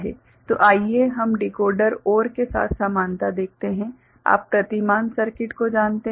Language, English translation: Hindi, So, let us see the similarity with Decoder OR you know paradigm, circuit